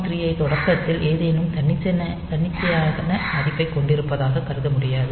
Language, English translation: Tamil, 3 to be added to have any arbitrary value at the beginning